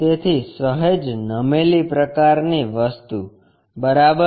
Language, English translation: Gujarati, So, slightly tilted kind of thing, ok